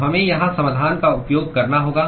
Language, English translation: Hindi, So, we have to use the solution here